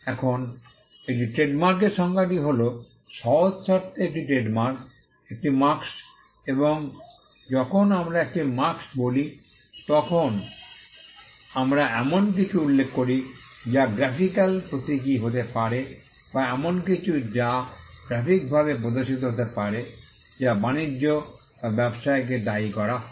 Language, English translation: Bengali, Now, this is the definition of the trademark “A trademark in simple terms is a mark and when we say a mark we refer to something that can be graphically symbolized or something which can be shown graphically which is attributed to a trade or a business”